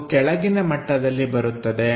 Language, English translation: Kannada, So, that comes at bottom level